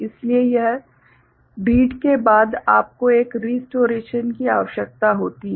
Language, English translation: Hindi, So, after every read you need to have a restoration